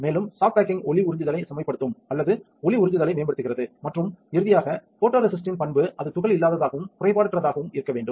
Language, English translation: Tamil, Also soft baking will improve the light absorbance or optimizes the light absorbance and finally, this the characteristic of photoresist should be that it should be particle free and defect free